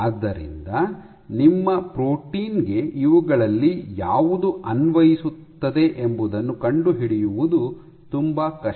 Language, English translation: Kannada, So, there is very it is very difficult to find out which of these case applies to your protein